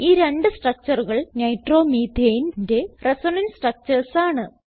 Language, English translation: Malayalam, The two structures are Resonance structures of Nitromethane.